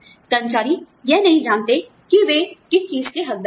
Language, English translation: Hindi, Employees, do not know, what they are entitled to